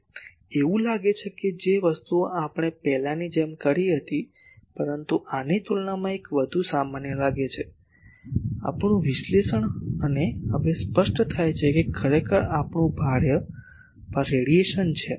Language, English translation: Gujarati, Now it looks like a thing actually the same thing as the previous one we have done, but compared to this looks a more, normal our analysis and it is now apparent that actually our load is the radiation